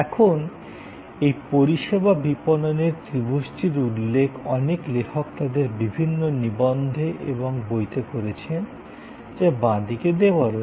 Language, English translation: Bengali, Now, this service a marketing triangle has been referred by many authors in their various articles and books, which are on the left hand side